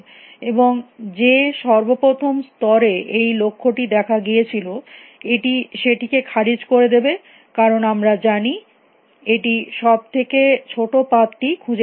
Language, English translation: Bengali, And because the very first level at which the goal appears this will terminate we know that it has found the shortest path